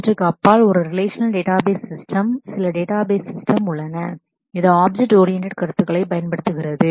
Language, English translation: Tamil, Beyond these a Relational Database Systems also, there are certain database systems which use Object oriented notions in that